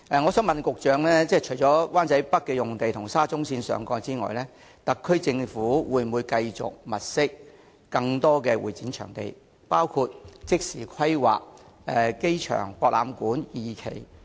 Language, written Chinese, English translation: Cantonese, 我想問局長，除了灣仔北的用地及沙中線上蓋之外，特區政府會否繼續物色更多用地以增加會展場地的供應，包括即時規劃亞博館第二期？, May I ask the Secretary apart from the site in Wan Chai North and the space above SCL if the SAR Government will continue to locate more sites to increase the supply of CE venues including immediate planning of the AsiaWorld - Expo Phase 2?